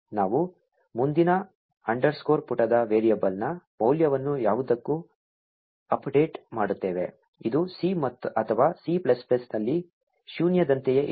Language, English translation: Kannada, We update the value of the next underscore page variable to None, which is the same as null in C or C++